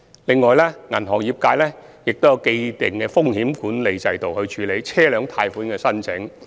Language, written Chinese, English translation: Cantonese, 此外，銀行業界也有既定的風險管理制度，處理車輛貸款的申請。, Besides there is an established risk management system for banks to deal with loan applications for vehicles